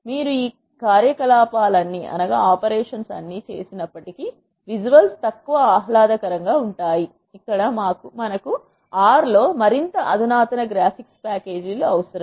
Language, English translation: Telugu, Even though you do all of this operations, the visuals are less pleasing that is where we need more sophisticated graphics packages in R